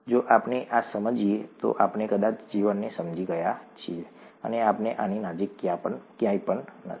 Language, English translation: Gujarati, If we understand this, then we have probably understood life, and, we are nowhere close to this